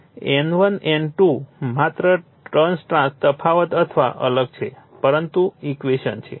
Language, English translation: Gujarati, So, N1 N2 only trance difference or different, but equations are same right